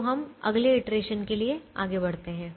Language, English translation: Hindi, so we proceed to the next iteration